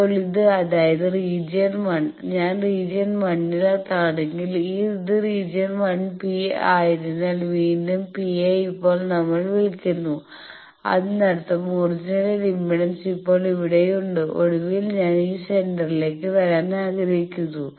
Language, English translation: Malayalam, So, based on that these four regions Now, this is the thing that region 1 if i am in region 1 again P now we are calling since it is region 1 P 1; that means, the original impedance is here now finally, I want to come to the centre of the chart